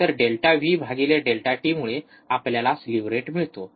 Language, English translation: Marathi, So, delta V by delta t will give us the slew rate